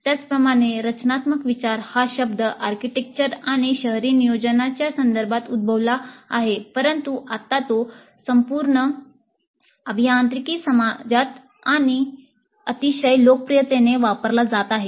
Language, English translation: Marathi, Similarly, the term design thinking arose in the context of architecture and urban planning but now it's very popularly used in the entire engineering community